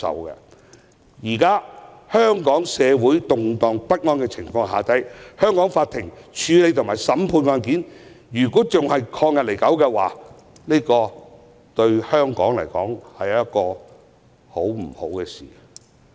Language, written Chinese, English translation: Cantonese, 現時香港社會動盪不安，香港法庭處理及審判案件仍然曠日持久的話，對香港並非好事。, In the light of the social turbulence in Hong Kong right now the Courts will do a disservice to Hong Kong by prolonging the handling and proceedings of cases